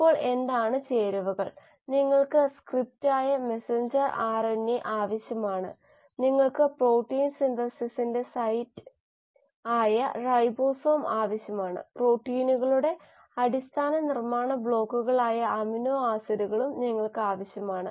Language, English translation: Malayalam, Now that is what are the ingredients, you need the messenger RNA which is the script, you need the site of protein synthesis which is the ribosome, you need the basic building blocks of proteins which are the amino acids and these amino acids are ferried to the ribosomes by a molecule called as transfer RNA or tRNA